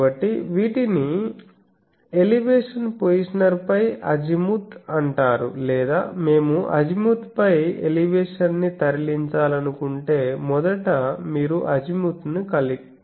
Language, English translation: Telugu, So these are called azimuth over elevation positioner or if we want to move elevation over azimuth that means, first you have move azimuth; then it will go to elevation